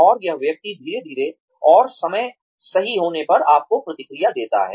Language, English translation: Hindi, And, this person slowly, and when the time is right, gives you feedback